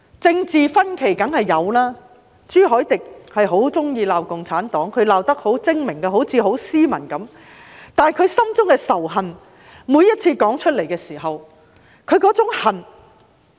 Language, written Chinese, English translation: Cantonese, 政治分歧當然是有的，朱凱廸議員很喜歡罵共產黨，他罵得十分精明，看似十分斯文，但他每次說出來的時候，內心的那種仇恨......, Political disagreements are natural . Mr CHU Hoi - dick likes to criticize the Communist Party yet he does that skillfully and presents it in a moderate manner